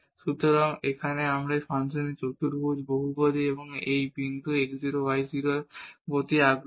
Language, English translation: Bengali, So, here we are interested in a quadratic polynomial of this function and about this point x 0 y 0